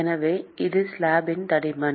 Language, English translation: Tamil, So, that is the thickness of the slab